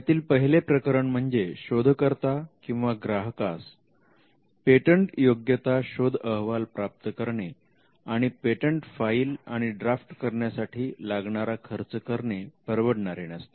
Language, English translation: Marathi, The first instance is when the client cannot afford both a patentability search, and the filing cost for filing and drafting a patent application